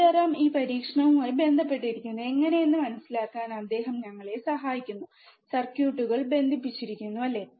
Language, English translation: Malayalam, Sitaram is involved with this experiment, he is helping us to understand, how the circuits are connected, right